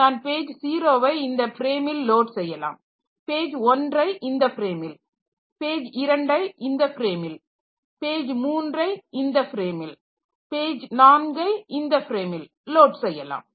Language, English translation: Tamil, So, maybe I load page 0 in this frame, then page 1 in this frame, page 2 in this frame, 3 in this frame 4 in this frame